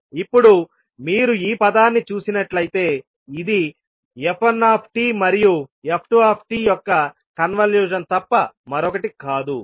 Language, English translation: Telugu, Now if you see this particular term this is nothing but the convolution of f1 and f2